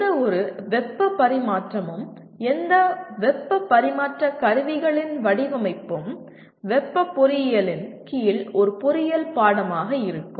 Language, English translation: Tamil, But whereas any heat transfer, design of any heat transfer equipment under thermal engineering will constitute an engineering course